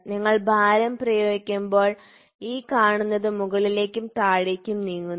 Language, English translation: Malayalam, So, when you apply weight, you apply weight, this fellow moves up and down